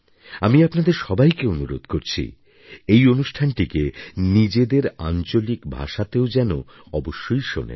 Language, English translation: Bengali, I would request all of you also to kindly listen to this programme in your regional language as well